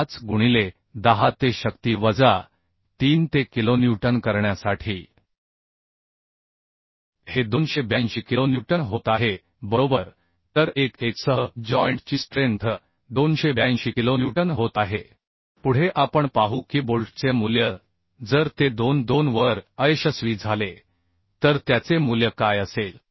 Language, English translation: Marathi, 25 into 10 to power minus 3 for making it kilonewton so this is becoming 282 kilonewton right So strength of joint along with 1 1 is becoming 282 kilonewton Next we will see what will be the value of bolt value if it fails along 2 2 that means strength of joint along 2 2 this will be how much this will be 0